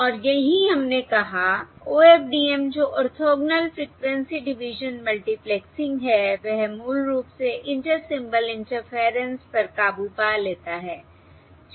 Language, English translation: Hindi, OFDM, that is, Orthogonal Frequency Division, Multiplexing, basically overcomes the Inter Symbol Interference